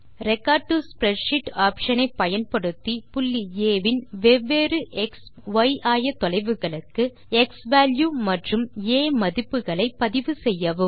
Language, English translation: Tamil, Use the Record to Spreadsheet option to record the x and y coordinates of point A, for different xValue and a values